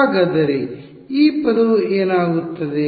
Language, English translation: Kannada, So, what happens of this term